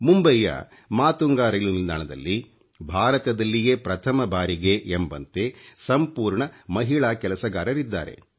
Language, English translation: Kannada, Matunga station in Mumbai is the first station in India which is run by an all woman staff